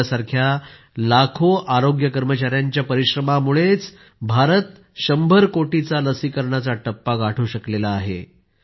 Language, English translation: Marathi, It is on account of the hard work put in by lakhs of health workers like you that India could cross the hundred crore vaccine doses mark